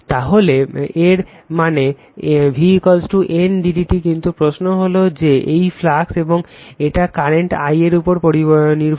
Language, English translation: Bengali, So that means, v is equal to N into d phi by d t right but, question is that this phi the flux phi it depends on the current I